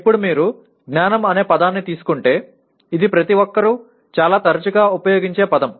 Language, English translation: Telugu, Now, the moment you come to the word knowledge it is a word that is used by everyone quite comfortably